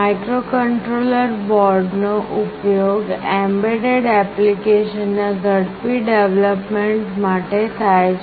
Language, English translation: Gujarati, Microcontroller boards are used for fast development of embedded applications